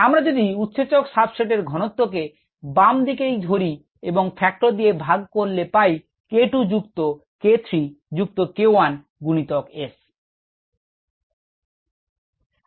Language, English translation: Bengali, and therefore the concentration of the enzyme substrate complex is the left hand side divided by the ah factor, here k two plus k three plus k one times s